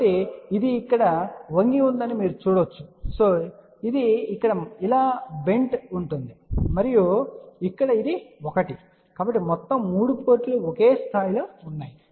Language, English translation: Telugu, So, where you can see that this is bent here this is bent like this here and this one over here, so the all the 3 ports are at the same level ok